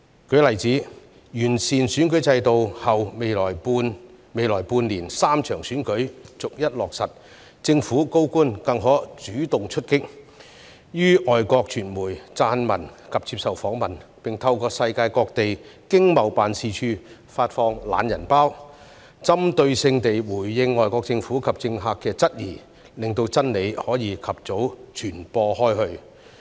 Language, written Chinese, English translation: Cantonese, 舉例而言，在完善選舉制度後，未來半年將會有3場選舉逐一舉行，政府高官更可主動出擊，於外國傳媒撰文及接受訪問，並透過世界各地經濟貿易辦事處發放"懶人包"，針對性回應外國政府及政客的質疑，令真理可以及早傳播開去。, For example upon the improvement of the electoral system three elections will be held in turn in the next six months . Senior government officials can take the initiative to write articles and give interviews to foreign media and respond specifically to the questions from foreign governments and politicians by distributing a digest through the Economic and Trade Offices around the world . In this way the truth can be spread around as early as possible